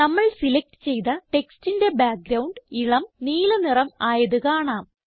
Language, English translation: Malayalam, We see that the background color of the selected text changes to light green